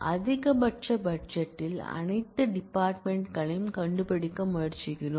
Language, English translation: Tamil, we are trying to find all departments with maximum budget